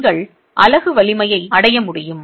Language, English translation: Tamil, You will be able to reach the unit strength